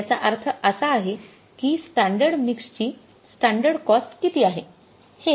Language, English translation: Marathi, And now what is the standard cost of standard mix